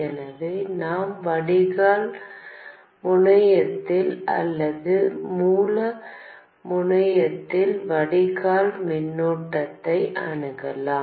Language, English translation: Tamil, So, we can access the drain current at the drain terminal or the source terminal